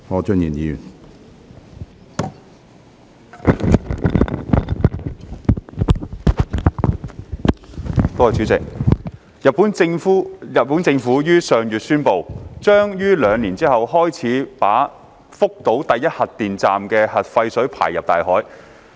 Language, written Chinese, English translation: Cantonese, 主席，日本政府於上月宣布，將於兩年後開始把福島第一核電站的核廢水排放入大海。, President the Japanese Government announced last month that it would start discharging nuclear wastewater from the Fukushima Daiichi nuclear power plant into the sea in two years time